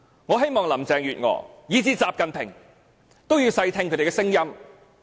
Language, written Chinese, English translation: Cantonese, 我希望林鄭月娥及習近平細聽他們的聲音。, I hope Carrie LAM and XI Jinping will listen to them attentively